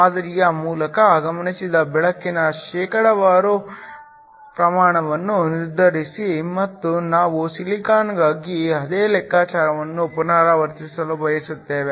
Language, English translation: Kannada, Determine the percentage of light observed through the sample and we want to repeat the same calculation for silicon